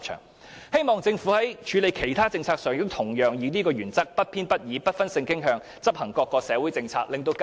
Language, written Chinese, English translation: Cantonese, 我希望政府在處理其他政策上，亦會以相同原則，不偏不倚及不分性傾向地執行各項社會政策，讓更多香港市民受惠。, I hope when the Government handles other policy matters it can use the same principle and impartially execute different social policies without any discrimination against different sexual orientations . That way more Hong Kong people can benefit